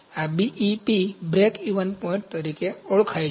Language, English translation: Gujarati, This is known as BEP, where BEP is breakeven point